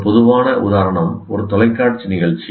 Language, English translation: Tamil, Typical example is a television program